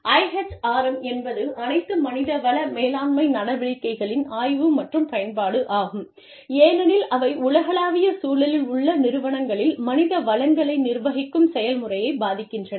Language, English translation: Tamil, IHRM is the study and application of, all human resource management activities, as they impact the process of managing human resources, in enterprises, in the global environment